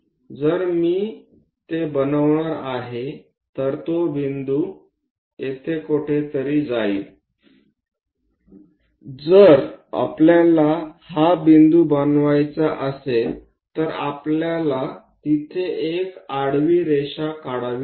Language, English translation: Marathi, So, if I am going to construct it, that point goes somewhere here; if this is the point where we want to construct, we have to drop a horizontal line there